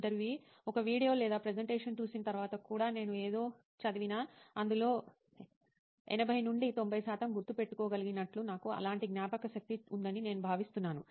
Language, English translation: Telugu, Even after watching a video or presentation, I have, I think I have that sort of memory like even if I read something, I can retain 80 to 90 percent of it